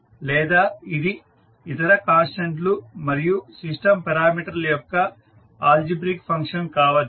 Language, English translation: Telugu, Or it can be an algebraic function of other constants and, or system parameters